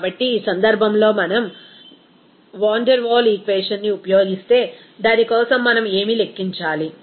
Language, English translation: Telugu, So, in this case if we use that Van der Waal equation, for that what we should require to calculate